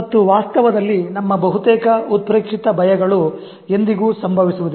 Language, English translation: Kannada, And in reality, most of our exaggerated fears never happen